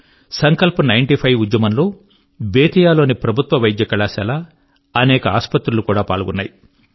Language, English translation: Telugu, Under the aegis of 'Sankalp Ninety Five', Government Medical College of Bettiah and many hospitals also joined in this campaign